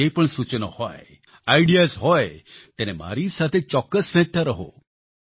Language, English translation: Gujarati, Whatever suggestions or ideas you may have now, do continue to keep sharing with me